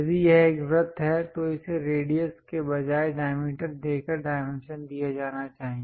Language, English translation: Hindi, If it is a circle, it should be dimensioned by giving its diameter instead of radius